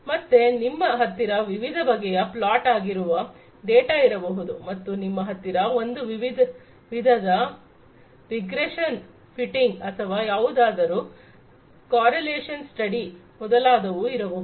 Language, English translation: Kannada, So, you can have different data which could be plotted and then you can have some kind of a regression fitting or some correlation study etcetera